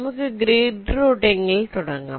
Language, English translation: Malayalam, so what does grid routing say